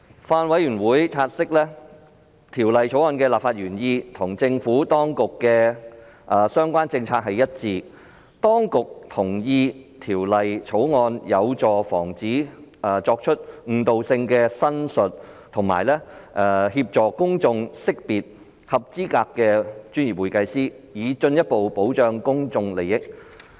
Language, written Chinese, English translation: Cantonese, 法案委員會察悉，《條例草案》的立法原意與政府當局的相關政策一致；當局同意《條例草案》有助防止作出具誤導性的申述，以及協助公眾識別合資格的專業會計師，以進一步保障公眾利益。, The Bills Committee noted that the legislative intent of the Bill is consistent with the Administrations policy; the authorities agree that the Bill will help to further protect the interest of the public by preventing misleading representation and helping the public to identify qualified professional accountants